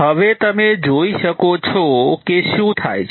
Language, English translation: Gujarati, Now you see what happens